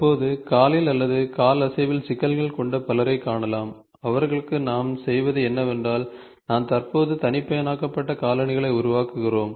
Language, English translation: Tamil, Currently you can see lot of people who have issues in their leg or we have movement, for them what we do is, we currently make customized shoes